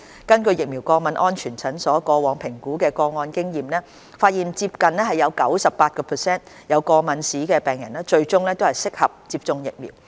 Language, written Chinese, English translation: Cantonese, 根據疫苗過敏安全門診過往評估個案的經驗，發現接近 98% 有過敏病史的人士最終適合接種疫苗。, According to the earlier experience of the assessment service of VASC nearly 98 % of cases with history of allergies were found suitable for vaccination